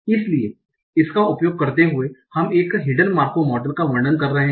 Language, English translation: Hindi, So that's where the hidden Markov models are different from Markov models